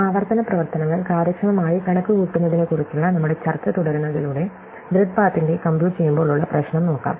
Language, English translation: Malayalam, So, continuing our discussion about efficiently computing recursive functions, let us look at the problem of computing grid paths